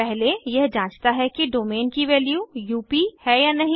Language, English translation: Hindi, First it checks whether the value of domain is UP